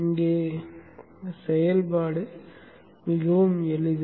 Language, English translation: Tamil, So the operation is pretty simple here